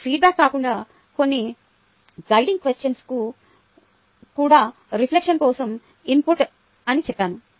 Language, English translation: Telugu, now i said that, apart from feedback, some guiding questions are also input for reflection